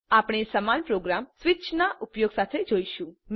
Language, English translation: Gujarati, We will see the same program using switch